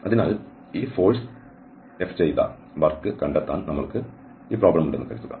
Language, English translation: Malayalam, So, suppose we have this problem find the work done by this force